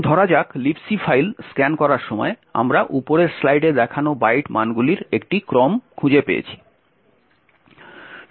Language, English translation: Bengali, Let us say while a scanning the libc file we found a sequence of byte values as follows